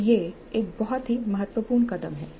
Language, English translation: Hindi, So this is a very important step